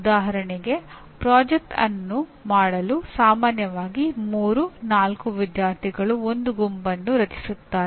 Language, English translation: Kannada, For example in project groups generally 3, 4 students form a group to do the project